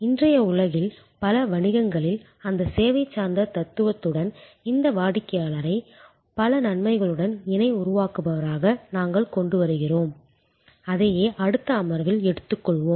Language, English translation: Tamil, And how in today's world with that service oriented philosophy in many businesses we are bringing in this customer as co creator with a lot of benefits and that is what we will take on in the next session